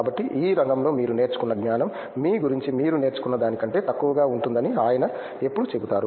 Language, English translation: Telugu, So, he always says the body of knowledge that you learn in the field is lesser than what you learn about yourself